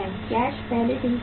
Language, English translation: Hindi, Cash is already cash